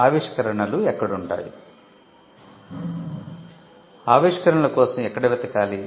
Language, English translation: Telugu, Where to look for inventions